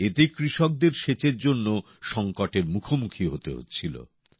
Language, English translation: Bengali, Due to this, problems in irrigation had also arisen for the farmers